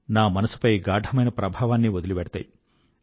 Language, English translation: Telugu, They leave a deep impression on my heart